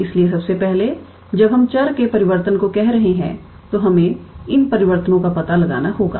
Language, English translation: Hindi, So, first of all when we are doing how to say change of variable, we have to find out these transformation